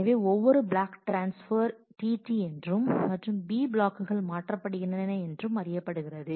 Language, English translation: Tamil, So, every block transfer is t T and the b blocks being transferred